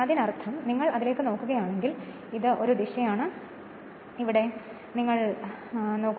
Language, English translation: Malayalam, So that means you are because here it is if you look into that this is a direction and if you put here this is also direction